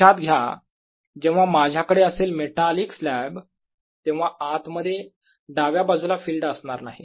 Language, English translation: Marathi, remember if i had a metallic slab on the left, there will be no field inside